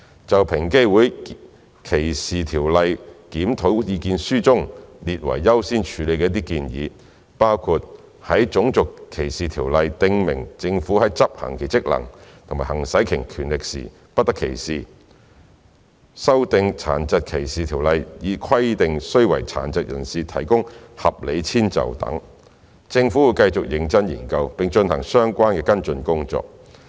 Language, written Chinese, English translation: Cantonese, 就平機會歧視條例檢討意見書中列為優先處理的一些建議，包括在《種族歧視條例》訂明政府在執行其職能和行使其權力時不得歧視、修訂《殘疾歧視條例》以規定須為殘疾人士提供合理遷就等，政府會繼續認真研究，並進行相關跟進工作。, Regarding some of the recommendations of priority in the EOCs Submissions on DLR such as amending RDO in order to provide protection from discrimination in relation to government functions and powers and amending DDO in order to require reasonable accommodation for persons with disabilities the Government will continue to study them carefully and take relevant follow - up actions